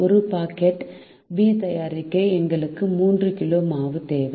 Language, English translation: Tamil, to make one packet of b, we also need three kg of flour